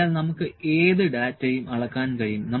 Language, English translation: Malayalam, So, we can measure any any data